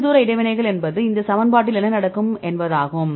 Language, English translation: Tamil, So, more long range interactions means what will happen in this equation